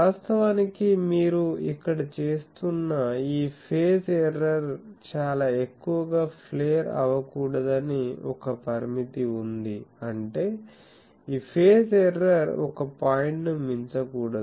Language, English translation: Telugu, Now, actually there is a restriction that you should not flare very much that this phase error that you are committing here; that means, this much phase error, that should not go beyond a point